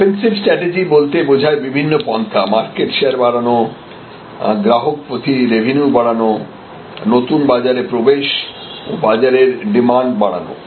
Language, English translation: Bengali, So, offensive strategy will mean this different things grow market share as we were discussing grow revenue per customer enter new market segment expand the market demand all of these